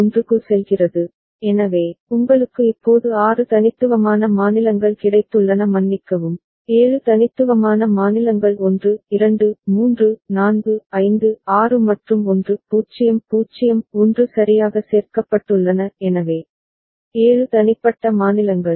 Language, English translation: Tamil, So, you have got now 6 unique states sorry, 7 unique states 1 2 3 4 5 6 and 1 0 0 1 got added right; so, 7 unique states